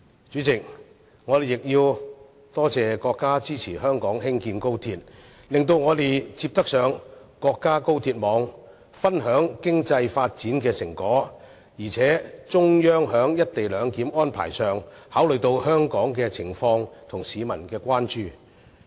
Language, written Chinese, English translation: Cantonese, 主席，我們亦要多謝國家支持香港興建高鐵，讓我們能連接到國家高鐵網，分享經濟發展的成果，而且中央在"一地兩檢"安排方面亦考慮到香港的情況和市民的關注。, President we must also thank the States support for Hong Kong to construct XRL thereby enabling us to connect to the national high - speed rail network and share the fruit of economic development . Also the Central Authorities have taken into account the circumstances in Hong Kong and public concerns as regards the co - location arrangement